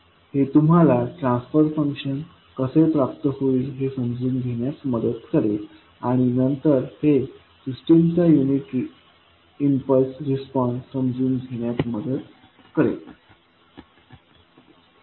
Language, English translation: Marathi, So this will help you to understand how you will find out the transfer function and then the unit impulse response of the system